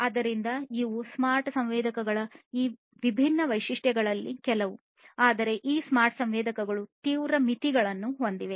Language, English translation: Kannada, So, these are some of these different features of the smart sensors, but these smart sensors have severe limitations